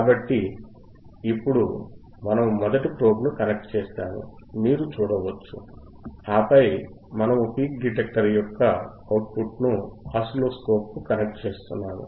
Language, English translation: Telugu, So, now, you can see you can see right that now wwe arehave connected the probe first probe 1, and then we are connecting the output of the peak detector, output of the peak detector to the oscilloscope